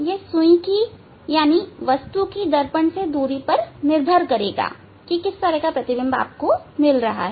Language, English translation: Hindi, that will depend on the distance of the object needle from the mirror